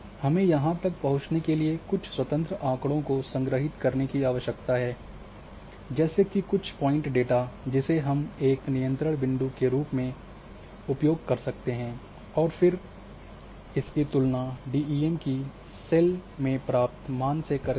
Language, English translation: Hindi, How we can access this thing that for that you need to have some independent collection of some say point data which you can use as a control points or controlled ground controlled points and then compare what the value in a cell of a DEM of different DEMs is being carried here